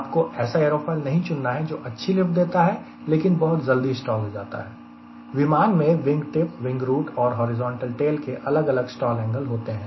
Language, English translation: Hindi, you should not select an aerofoil because it is lift efficient but it stalls too early because for in a airplane the stalling angles are different whether you take wing tip or a root or a horizontal tail